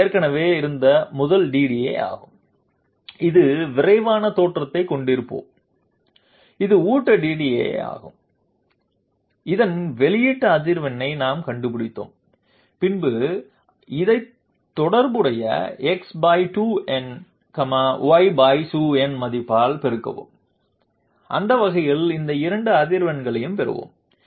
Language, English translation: Tamil, That is the first DDA which was existing, let us have a quick look this is the feed DDA, we will find out the output frequency of this one then multiply this by the by the corresponding Delta x value and that way we will get these two frequencies